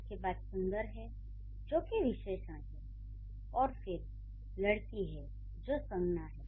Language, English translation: Hindi, Then there is beautiful which is an adjective and then there is girl which is a noun